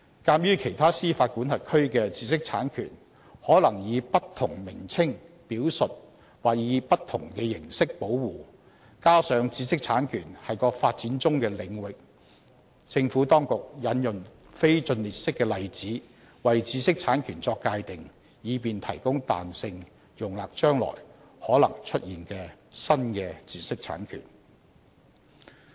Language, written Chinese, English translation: Cantonese, 鑒於其他司法管轄區的知識產權可能以不同名稱表述或受不同的形式保護，加上知識產權是個發展中的領域，政府當局引用非盡列式的例子為知識產權作界定，以便提供彈性容納將來可能出現的新的知識產權。, Given that IPRs in other jurisdictions may be referred to by different names or protected in a different way and since IP is a developing area the Administration has defined IPRs by referring to a non - exhaustive list of examples so as to provide flexibility in the definition to accommodate new types of IPRs which may arise in the future